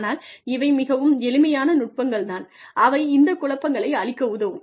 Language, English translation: Tamil, But, these are very simple techniques, that help you clear this clutter